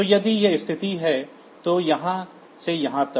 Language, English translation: Hindi, So, if this is the situation then from here to here